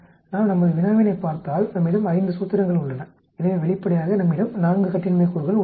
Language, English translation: Tamil, If we look at our problem we have 5 formulations so obviously, we have 4 degrees of freedom